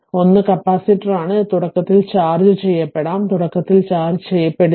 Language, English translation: Malayalam, And one is capacitor is there it may be initially charged maybe initially uncharged